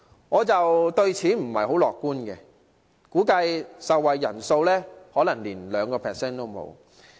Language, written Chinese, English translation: Cantonese, 我對此不太樂觀，估計受惠人數可能不足 2%。, I am not very optimistic about that . I estimate that the number of beneficiaries will be under 2 %